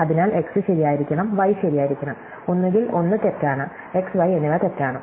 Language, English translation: Malayalam, So, x must be true and y must be true, either one of is false, x and y is false